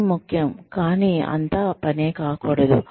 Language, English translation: Telugu, Work is important, but work is not everything